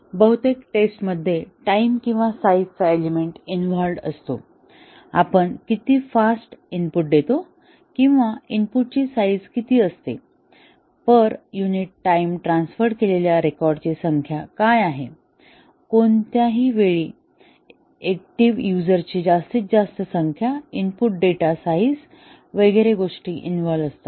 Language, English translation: Marathi, So, here most of the tests involve an element of time or size, how fast we give inputs or what is the size of the input, what is the number of records transferred per unit time, maximum number of users active at any time, input data size etcetera